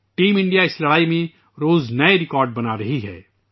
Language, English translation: Urdu, Team India is making new records everyday in this fight